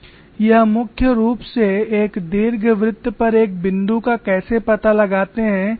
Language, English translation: Hindi, This primarily comes from how to locate a point on an ellipse